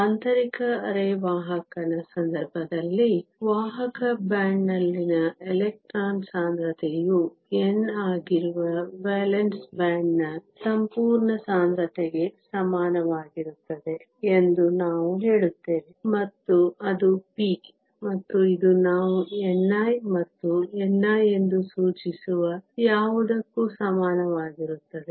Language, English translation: Kannada, In the case of an intrinsic semiconductor, we say that the electron concentration in the conduction band that is n is equal to the whole concentration in the valance band that is p, and it is equal to something which we denote as n i, and n i we call the intrinsic carrier concentration